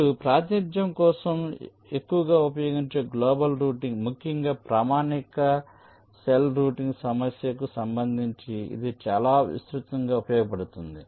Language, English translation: Telugu, fine, now let us come to the representation which is most widely used, for you can say global routing, particularly in connection with the standard cell routing problem, which is most widely used